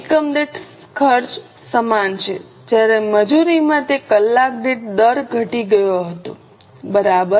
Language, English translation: Gujarati, The cost per unit is same whereas in labour it had fallen hourly rate